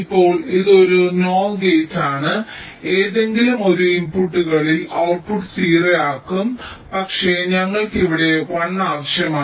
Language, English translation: Malayalam, now this is a a, nor gate a one in any of the inputs will make the output zero, but we require a one